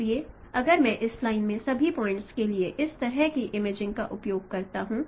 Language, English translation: Hindi, So if I go on doing this kind of no imaging for all the points in this line, so we will see its effect